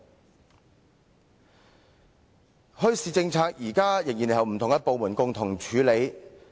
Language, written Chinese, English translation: Cantonese, 現時墟市政策仍然是由不同部門共同處理。, At present the policy on bazaars is still jointly enforced by different departments